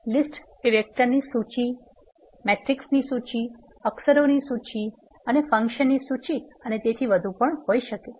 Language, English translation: Gujarati, List can be a list of vectors, list of matrices, list of characters and list of functions and so on